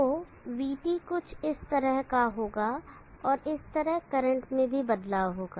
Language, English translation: Hindi, So the VT will be something like this and likewise there will be a variation in the current also